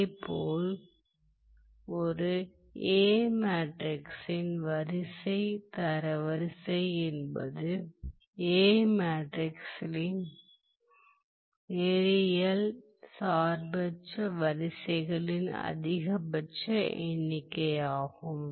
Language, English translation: Tamil, Now, similarly the row rank of A equals the maximum number of linearly independent rows of A